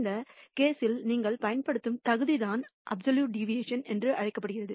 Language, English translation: Tamil, In this case the merit that you are using is what is called the absolute deviation